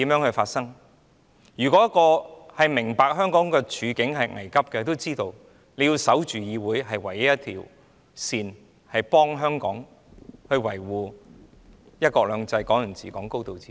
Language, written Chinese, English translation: Cantonese, 那些明白香港處境危急的人，知道要守着議會，這是唯一的防線，可以維護香港的"一國兩制"、"港人治港"和"高度自治"。, People who understand that Hong Kong is facing a critical situation know that we have to guard the legislature . This is the only line of defence to safeguard one country two systems Hong Kong people ruling Hong Kong and high degree of autonomy in Hong Kong